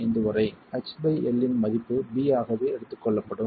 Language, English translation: Tamil, 5, the value of H by L will be taken as B itself